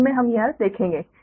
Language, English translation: Hindi, later we will see that